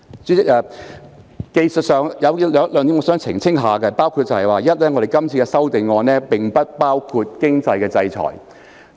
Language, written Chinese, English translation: Cantonese, 主席，有一些技術問題需要澄清，包括第一，是次修訂並不包括經濟制裁。, President some technical issues need to be clarified . They include firstly this amendment exercise does not include financial sanction